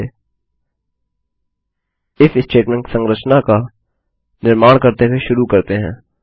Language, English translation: Hindi, Lets start by creating the IF statement structure